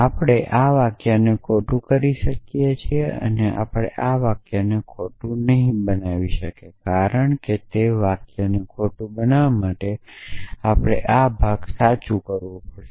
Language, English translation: Gujarati, So, we can make this sentence false sorry we cannot make this sentence false because to make that sentence false we have to make this part true